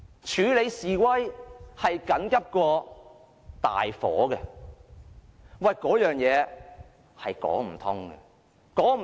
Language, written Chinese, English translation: Cantonese, 處理示威較大火緊急，這是說不通的。, It is unreasonable to say that handling protests is more of an emergency than putting out a fire